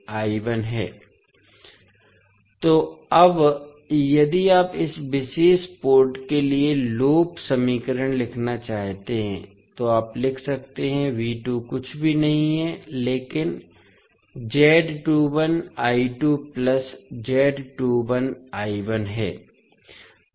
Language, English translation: Hindi, So now, if you want to write the loop equation for this particular port so you can write V2 is nothing but Z22 I2 plus Z21 I1